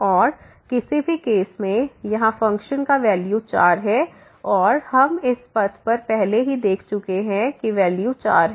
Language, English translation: Hindi, And in any case here the value of the function is 4 and we have already seen along this path the value is 4